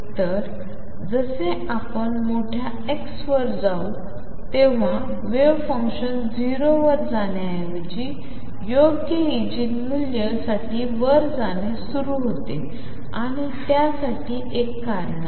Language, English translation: Marathi, So, what happens is as you go to large x a wave function rather than going to 0 even for the right eigenvalue it starts blowing up and there is a reason for it